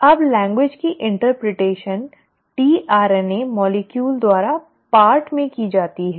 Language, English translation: Hindi, Now that interpretation of the language is done in part, by the tRNA molecule